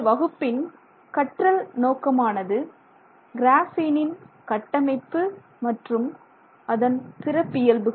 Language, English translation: Tamil, So, our learning objectives for this class are to look at the structure of graphene and see what peculiarities we have there